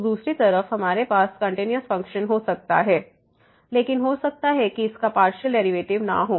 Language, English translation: Hindi, So, other way around, we can have a continuous function, but it may not have partial derivative